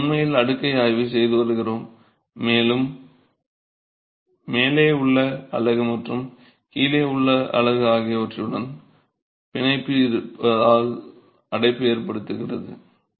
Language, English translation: Tamil, As of now, we are actually examining the stack and the confinement is because of the bond with the unit above and the unit below